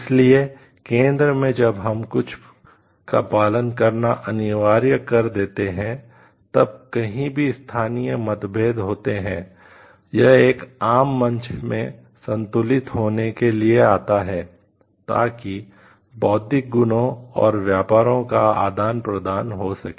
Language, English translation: Hindi, So, centrally when you are it becomes mandatory to follow something, then whatever local differences are there somewhere, it comes to be like balanced in a common platform; so that exchange of intellectual properties and trades can happen